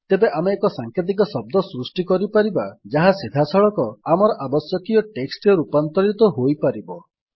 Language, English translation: Odia, Then we can create an abbreviation which will directly get converted into our required text